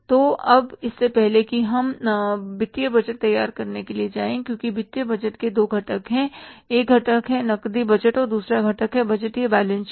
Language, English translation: Hindi, So now before we go for preparing the financial budget because there are the two components of the financial budget